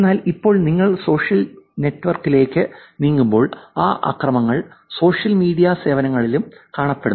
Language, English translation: Malayalam, But now when you move on to the social network, these attacks have also calculated the social media services also